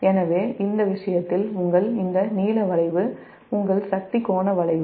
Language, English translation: Tamil, so in that case, your, this blue curve is the your power, power, power angle curve